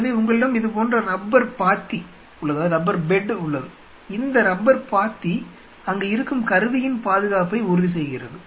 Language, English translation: Tamil, So, you have the rubber bed like this, this rubber bed ensures that the instrument which are there